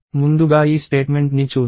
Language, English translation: Telugu, So, let us look at this statement first